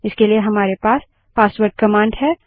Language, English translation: Hindi, For this we have the passwd command